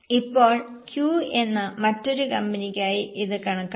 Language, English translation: Malayalam, Now calculate it for the other company which is Q